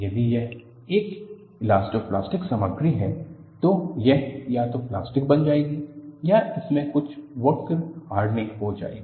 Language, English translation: Hindi, If it is an elastoplastic material, it will either become plastic or it will have some work hardening